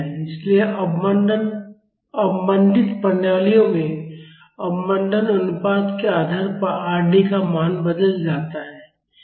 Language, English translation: Hindi, So, in damped systems depending, upon the damping ratio the value of Rd changes